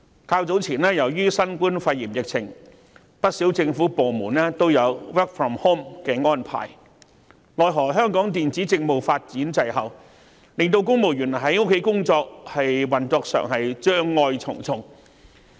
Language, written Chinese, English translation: Cantonese, 較早前，由於新冠肺炎疫情的影響，不少政府部門均實施 work from home 的安排，奈何香港電子政務發展滯後，令公務員在家工作時，運作上障礙重重。, Earlier on many government departments implemented the work - from - home arrangement due to the impact of the novel coronavirus pneumonia epidemic . Yet subject to the lagged development of e - Government services in Hong Kong civil servants encountered numerous obstacles in operation while working from home